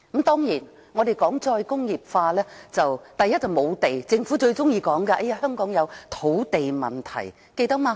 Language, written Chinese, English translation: Cantonese, 談及"再工業化"，問題之一，是無地，政府最喜歡說香港有土地問題，記得嗎？, The first problem with re - industrialization is the lack of land . The Government loves to say that Hong Kong has a land problem . Remember?